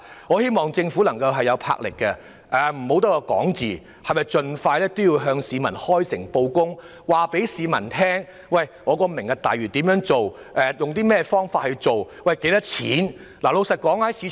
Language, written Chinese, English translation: Cantonese, 我希望政府會有魄力，不要只是空談，盡快向市民開誠布公，告訴大家"明日大嶼"計劃的詳情和預計的開支等。, I hope that the Government will not just engage in empty talks but take bold and resolute action to expeditiously inform us of the details and estimated costs of the Lantau Tomorrow project in an open and transparent manner